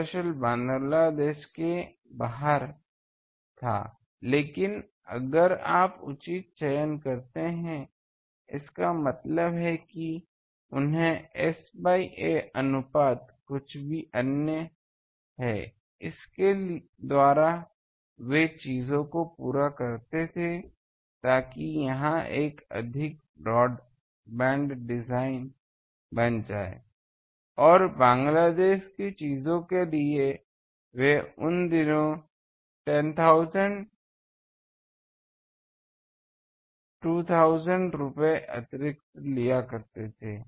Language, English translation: Hindi, Actually, Bangladesh was outside, but if you do proper these selection; that means, they is to have some other S by ‘a’ ratio, by that they could cater to the things so that it becomes a more broad band design and you Bangladesh things are there, for that they used to charge in those days 1000, 2000 rupees extra for that